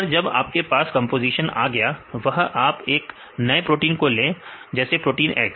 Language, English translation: Hindi, Once you have the composition, you now take the new protein